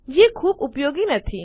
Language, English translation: Gujarati, Not very useful, is it